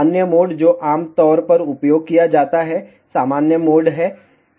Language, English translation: Hindi, The other mode, which is commonly used is normal mode